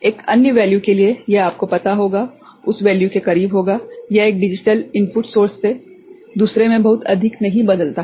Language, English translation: Hindi, For another value, it will be you know close to that value it is not varying too much from one digital input source to another